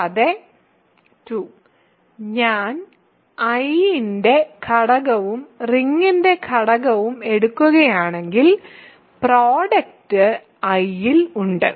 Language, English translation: Malayalam, And, ii if you take an arbitrary element of I and an arbitrary element of the ring the product is also in I, ok